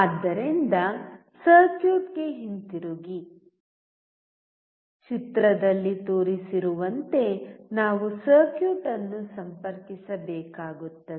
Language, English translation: Kannada, So, coming back to the circuit, we had to connect the circuit as shown in figure